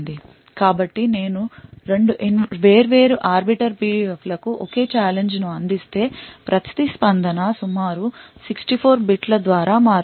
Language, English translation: Telugu, So this means that if I provide the same challenge to 2 different Arbiter PUFs, the response would vary by roughly 64 bits